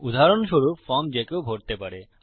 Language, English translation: Bengali, For example a form someone can fill in